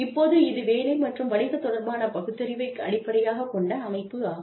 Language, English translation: Tamil, Now, this is based on, work and business related rationale, on which, the system is based